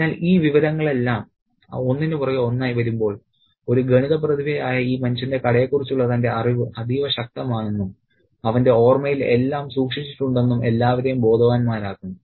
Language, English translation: Malayalam, So, all this information when it comes one after the other, it makes everybody aware of the fact that this man who was a maths genius is also extremely powerful in his knowledge about the shop and that he has in his memory everything stored